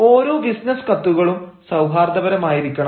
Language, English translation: Malayalam, every business letter has to be cordial